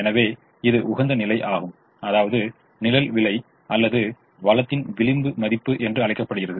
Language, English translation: Tamil, therefore it is called shadow price or marginal value of the resource at the optimum